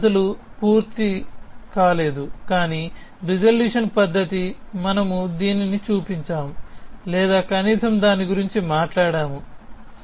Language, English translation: Telugu, Those methods are not complete, but resolution method we showed this or at least we talked about it